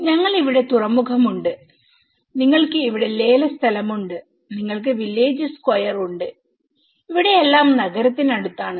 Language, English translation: Malayalam, We have the harbour here, you have the auction place here, you have the village square here everything is near to the city